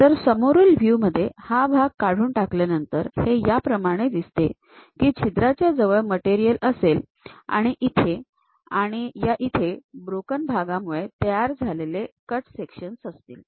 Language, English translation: Marathi, So, in the front view after removing that part; the way how it looks like is near that hole we will be having material and again here, and there is a cut section happen through broken kind of part